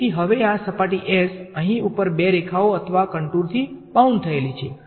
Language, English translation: Gujarati, So, now, this surface s over here is bounded by two lines or contours right